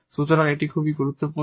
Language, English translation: Bengali, So, this is very important for this lecture now